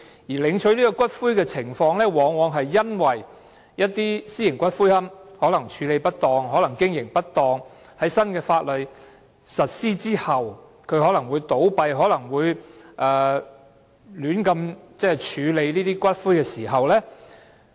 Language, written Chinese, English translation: Cantonese, 要求領取骨灰的情況，往往在一些私營龕場處理或經營不當，以致在新法例實施後，有可能倒閉而胡亂處理骨灰時出現。, Claims for ashes often arise when certain private columbaria involved in improper handling and operation dispose of ashes improperly in the event of closure upon the implementation of the new legislation